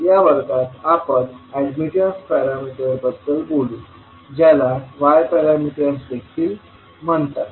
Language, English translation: Marathi, So in this class we will talk about admittance parameters which are also called as Y parameters